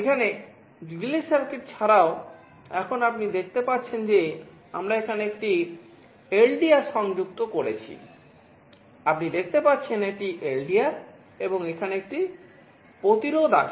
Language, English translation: Bengali, Here in addition to the relay circuit, now you can see we also have a LDR connected out here